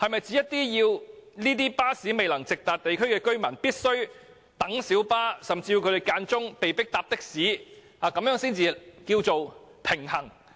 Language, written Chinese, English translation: Cantonese, 是否要這些巴士未能直達的地區居民繼續等候小巴，甚至有時候被迫改乘的士才算平衡？, Does it imply that residents in areas without bus service still have to wait a long time for light buses or are compelled at times to travel by taxis?